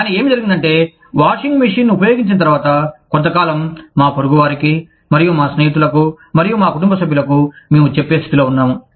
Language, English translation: Telugu, But, what happened was, after using a washing machine, for a period of time, we were in a position to tell, our neighbors, and our friends, and our family members that, okay, this brand has worked well, for me